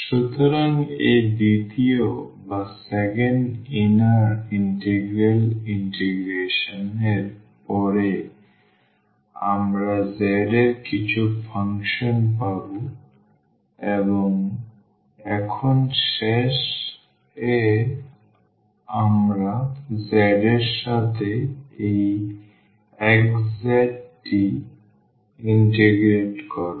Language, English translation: Bengali, So, after the integration of this second inner integral, we will get a some function of z and now at the end we will integrate this x z with respect to z